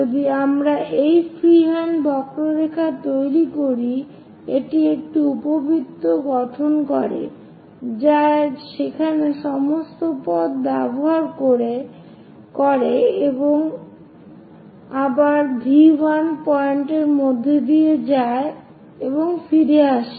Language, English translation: Bengali, If we are making a freehand curve, it forms an ellipse which tracks all the way there and again pass through V 1 point and comes back